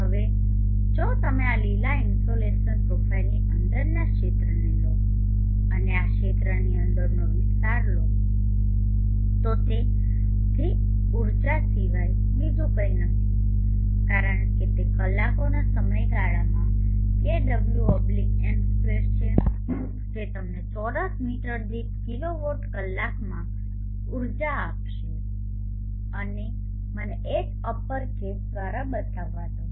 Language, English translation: Gujarati, Now if you take the region within this green insulation profile and take the area within this region it is nothing but the energy because it is the kw/m2 into the time in hours will give you the energy in kilowatt hour’s kw/m2 and let me denote that by uppercase H